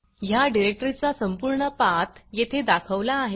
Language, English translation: Marathi, The full path to this directory is shown here